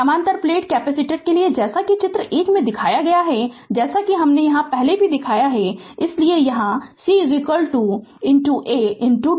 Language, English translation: Hindi, For the parallel plate capacitor as shown in the figure 1, figure already I have shown, so C is equal to epsilon into A into d